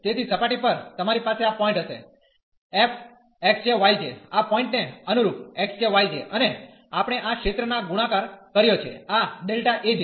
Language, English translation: Gujarati, So, on the surface you will have this point there f x j, y j corresponding to this point x j, y j and we have multiplied by this area, this delta A j